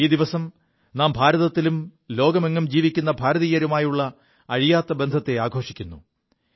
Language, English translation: Malayalam, On this day, we celebrate the unbreakable bond that exists between Indians in India and Indians living around the globe